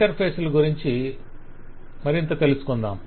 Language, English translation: Telugu, Interfaces we will talk about more